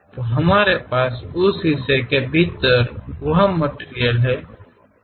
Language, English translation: Hindi, So, we have that material within that portion